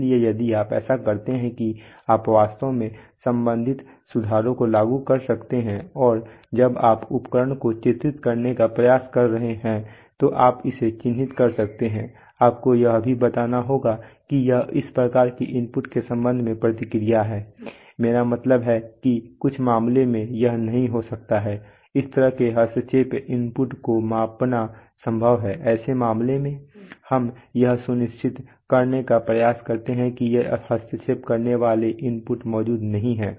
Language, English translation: Hindi, So if you so that you can actually apply the corresponding Corrections and you can characterize when you are trying to characterize the instrument you will also have to characterize it is response with respect to these kind of inputs, I mean in some cases it may not be possible to measure this kind of interfering inputs in such cases we try to ensure that these interfering inputs are not present